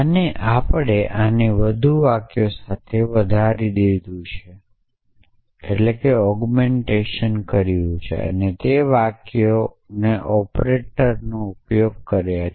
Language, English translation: Gujarati, And we have augmented this with more sentences and the sentences are using the operators